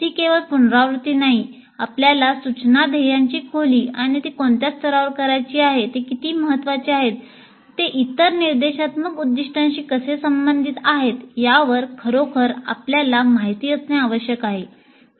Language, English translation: Marathi, He must really understand the depth of the instruction goal or the at what level it has to be done, how important it is, how it is related to other instructional goals and so on